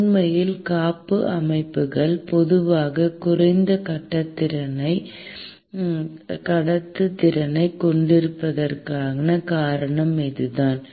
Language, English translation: Tamil, And in fact, this is the reason why the insulation systems typically have low conductivities